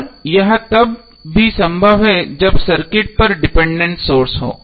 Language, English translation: Hindi, And it is also possible when the circuit is having dependent sources